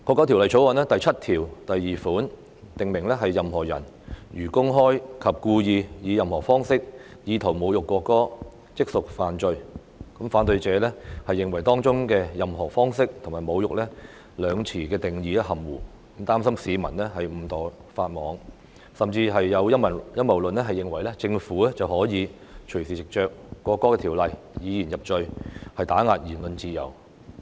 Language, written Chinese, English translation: Cantonese, 《條例草案》第72條訂明，"任何人如公開及故意以任何方式侮辱國歌，即屬犯罪"，反對者認為當中的"任何方式"和"侮辱"兩詞的定義含糊，擔心市民誤墮法網，甚至有陰謀論認為政府可以隨時就《條例草案》以言入罪，打壓言論自由。, Section 72 of the Bill stipulates that A person commits an offence if the person publicly and intentionally insults the national anthem in any way . Objectors opine that as the definitions of in any way and insults are ambiguous the public will contravene the law inadvertently . Conspiracy theorists even claim that the Government may arbitrarily incriminate people for expressing their views and suppress the freedom of speech by virtue of the Bill